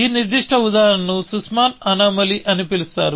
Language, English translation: Telugu, So, this particular example is known as Sussman’s anomaly